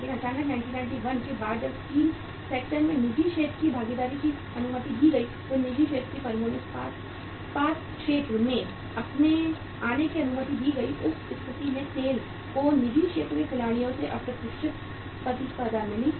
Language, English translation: Hindi, But suddenly after 1991 when the private sector participation was allowed in the steel sector private sector firms were allowed to come up in the steel sector, in that case SAIL got unforeseen competition from the private sector players